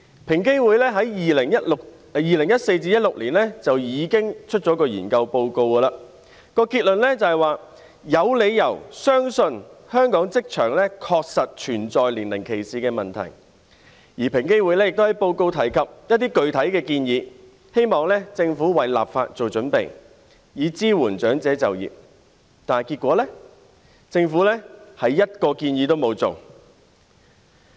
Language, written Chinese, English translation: Cantonese, 平等機會委員會在2014年至2016年進行了一項研究，報告結論指有理由相信香港職場確實存在年齡歧視問題；而平機會亦在報告內提出一些具體建議，希望政府為立法作準備，以支援長者就業，但結果是政府連一項建議也沒有實行。, The Equal Opportunities Commission EOC conducted a study between 2014 and 2016 and the conclusion of its report says it has grounds to believe the problem of age discrimination exists in the job market in Hong Kong . EOC also made some specific recommendations in the report in the hope that the Government would make preparations to enact legislation and support elderly people in taking up employment but in the end the Government did not implement a single recommendation